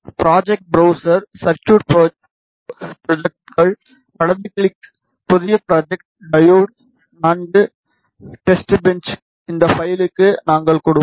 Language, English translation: Tamil, Go back to project browser, circuit schematics, right click, new schematic, diode IV testbench is the name that we will give to this file